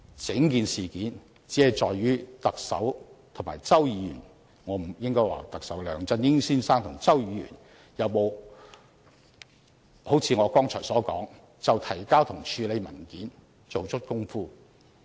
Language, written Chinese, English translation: Cantonese, 整件事件只在於特首和周議員......應該說是梁振英先生和周議員有否好像我剛才所說，就提交和處理文件做足工夫。, The whole incident is whether the Chief Executive and Mr CHOW I should say whether Mr LEUNG Chun - ying and Mr CHOW had as pointed out by me just now taken appropriate actions in respect of the submission and handling of the document